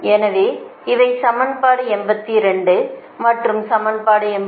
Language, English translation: Tamil, this is equation eighty three